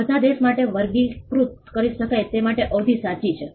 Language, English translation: Gujarati, Duration is true for all the country could classify